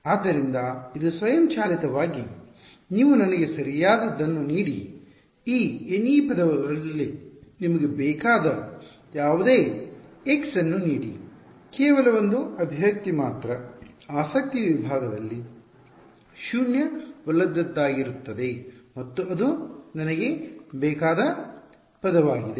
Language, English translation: Kannada, So, it automatically you give me the correct give me any x you want of these N e terms only one expression will be non zero in the segment of interest and that is the term that I want